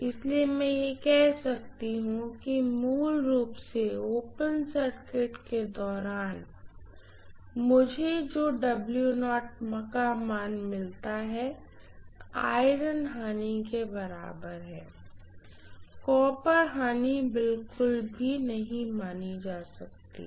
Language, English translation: Hindi, So I can say that basically the W naught value what I get during open circuit is equal to iron losses themselves, copper losses are not considered at all